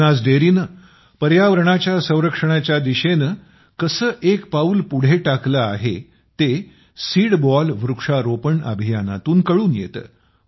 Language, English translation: Marathi, How Banas Dairy has also taken a step forward in the direction of environmental protection is evident through the Seedball tree plantation campaign